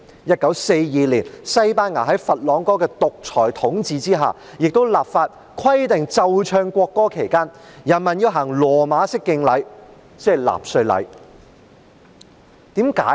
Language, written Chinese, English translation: Cantonese, 1942年西班牙在佛朗哥的獨裁統治下，亦立法規定奏唱國歌期間，人民要行羅馬式敬禮，即納粹禮。, In 1942 in Spain under the dictatorship of Francisco FRANCO the law required people to do the Roman salute and that is the Nazi salute when the national anthem was played and sung